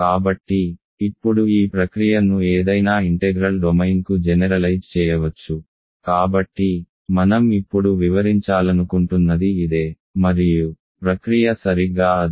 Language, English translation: Telugu, So, now this process can be generalized, to any integral domain so, this is what I want to explain now and the process is exactly the same